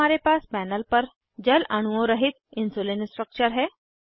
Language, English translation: Hindi, Now on panel we have Insulinstructure without any water molecules